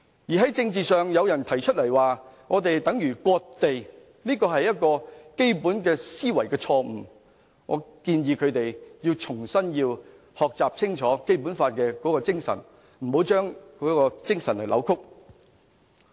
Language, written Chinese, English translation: Cantonese, 在政治上，有人提出這樣做等於割地，這是基本思維錯誤，我建議他們重新清楚學習《基本法》的精神，不要扭曲。, In respect of politics those making claims of land - cession have been fundamentally wrong . I suggest them to learn afresh the spirits of the Basic Law and getting the idea clear without distortion